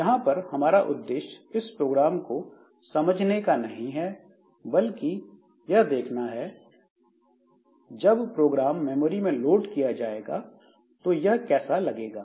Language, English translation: Hindi, Rather rather we would like to see how this program will look like when it is loaded into the main memory